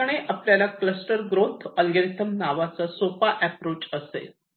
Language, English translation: Marathi, this is called the cluster growth algorithm